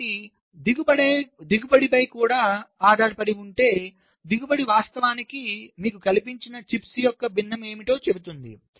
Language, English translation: Telugu, so if also depends on the yield, wield, yield actually tells you that what is the fraction of the chips that are fabricated, which are good